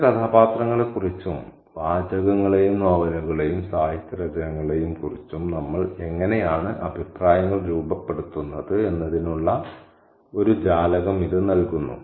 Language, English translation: Malayalam, It kind of gives us a window into how we form opinions about her own, how we form judgments about certain characters and texts and novels and works of literature